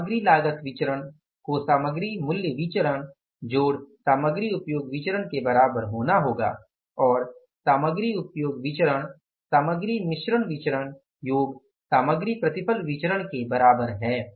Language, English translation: Hindi, Material cost variance has to be is equal to material price variance plus material usage variance and the material usage variance is equal to material mixed variance and material yield variance